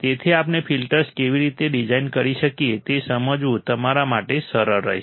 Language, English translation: Gujarati, So, it will be easier for you to understand how we can design the filters